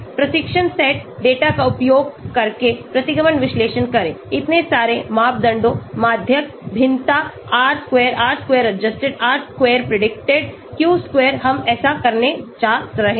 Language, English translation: Hindi, Perform the regression analysis using training set data, compute so many parameters, mean, variance, R square, R square adjusted, R square predicted, Q square we are going to do that